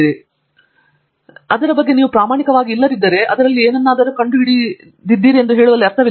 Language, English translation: Kannada, If you are not being honest about it, there is no meaning in saying you discovered something in it